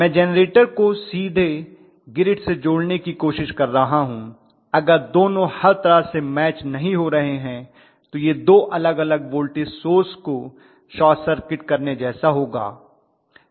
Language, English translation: Hindi, What I am trying to do is to connect the generator to the grid directly, if the 2 or not matching in every way it is like short circuiting 2 different voltage sources